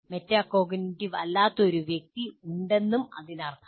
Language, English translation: Malayalam, So who is a metacognitive person